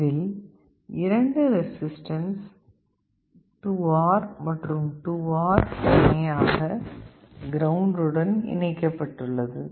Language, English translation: Tamil, You see here these two resistances 2R and 2R, they are connected in parallel to ground